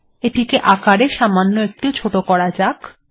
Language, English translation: Bengali, Let me make this slightly smaller